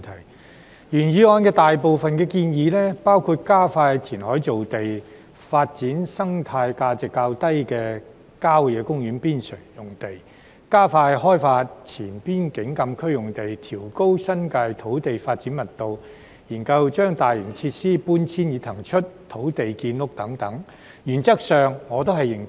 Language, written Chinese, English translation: Cantonese, 對於原議案所載的大部分建議，包括加快填海造地、發展生態價值較低的郊野公園邊陲用地、加快開發前邊境禁區用地、調高新界土地發展密度、研究將大型設施搬遷以騰出土地建屋等，原則上我都認同。, I agree in principle to most of the proposals in the original motion which include accelerating the land creation process developing sites with relatively low ecological value on the periphery of country parks expediting the development of the land of the former Frontier Closed Area raising the highest development density of land in the New Territories and conducting studies on the relocation of large - scale facilities to vacate land for housing construction